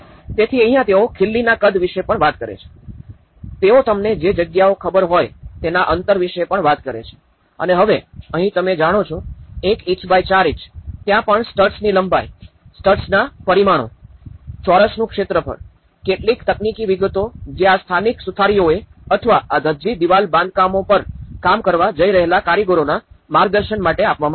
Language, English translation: Gujarati, So, this is where they even talk about the nail sizes, they even talk about the spacings to it you know and now, here 1 inch by 4 inch you know, there even talking about the length of studs, the dimensions of the studs, the volume of the squares you know now, some of the technical details which has been given some guidance to these local carpenters or the artisans who are going to work on these Dhajji wall constructions